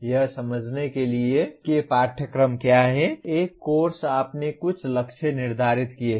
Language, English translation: Hindi, To graphically understand what the course is, a course has you set some targets